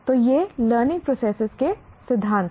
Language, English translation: Hindi, So these are principles of learning process